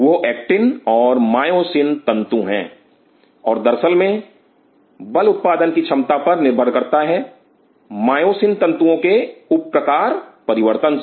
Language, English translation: Hindi, Those are actin and myosin filament, and as a matter of fact depending on the quantity of four generation, the myosin filament sub type changes